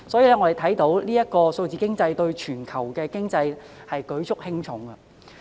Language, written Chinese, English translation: Cantonese, 由此可見，數字經濟對全球經濟舉足輕重。, It can thus be seen that digital economy has a significant bearing on the global economy